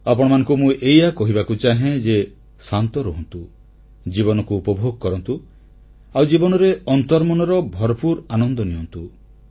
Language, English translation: Odia, All I would like to say to you is 'Be calm, enjoy life, seek inner happiness in life